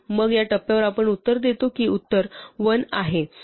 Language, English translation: Marathi, Then at this point we will report that the answer is 1